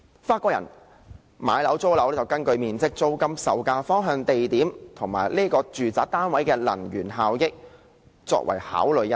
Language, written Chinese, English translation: Cantonese, 法國人買樓或租樓，是根據面積、租金、售價、方向、地點及住宅單位的能源效益考慮。, Before the French buy or lease a residential property they will consider its area rent price bearing location and energy efficiency